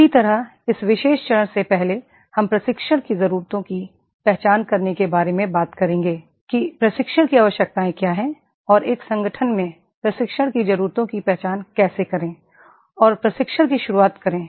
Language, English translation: Hindi, Similarly, before this particular phase we will talk about identifying the training needs that is what are the training needs and how to identify the training needs in an organization and introduction of the training